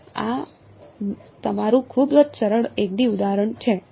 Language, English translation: Gujarati, So, this is your very simple 1 D example right